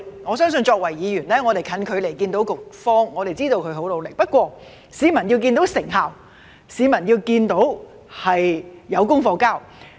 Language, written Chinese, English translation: Cantonese, 我相信作為議員，我們近距離看到局方，知道他們很努力，不過市民要看到成效及政府交出功課。, I believe that as Members we can see the Bureau in action at close range and know they have worked very hard but members of the public need to see the results and that the Government has delivered